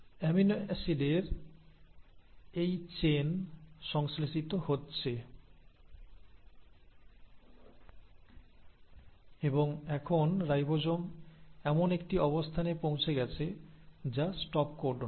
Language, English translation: Bengali, So you are getting a chain of amino acids getting synthesised and now the ribosome has bumped into a position which is the stop codon